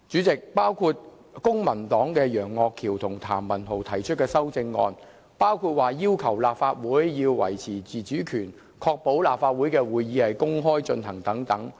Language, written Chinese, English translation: Cantonese, 公民黨的楊岳橋議員和譚文豪議員建議修訂《議事規則》，包括訂明立法會須維持自主權，以及立法會會議須公開舉行。, Mr Alvin YEUNG and Mr Jeremy TAM of the Civic Party have proposed amendments to RoP such as specifying that the autonomy of the Legislative Council shall be preserved and that the meetings of the Council shall be open to the public